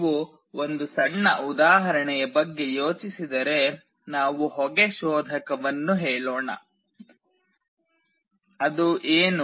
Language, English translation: Kannada, If you think of a small example, let us say a smoke detector, what is it